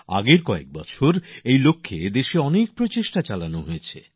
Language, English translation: Bengali, In our country during the past few years, a lot of effort has been made in this direction